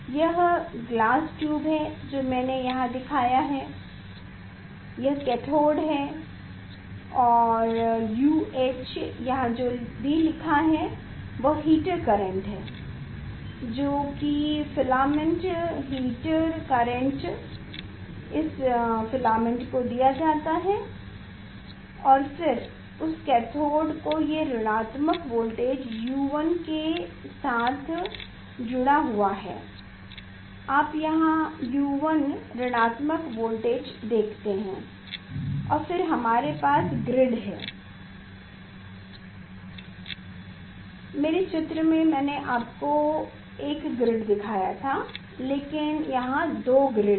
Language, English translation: Hindi, this is the glass tube from whatever I showed here this is the glass tube this is the cathode this is the cathode and U H here whatever written that is heater current that filament heater current is given to this filament and then that cathode it is the it is connected with the negative voltage U 1 you see U 1 negative voltage and then we have grid here in my diagram I have showed you the one grid, but here if there are two grid